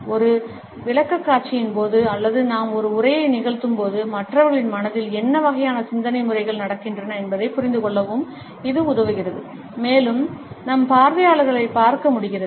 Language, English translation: Tamil, It also helps us to understand, what type of thought patterns are going on in the minds of other people, during a presentation or while we are delivering a speech and we are able to look at our audience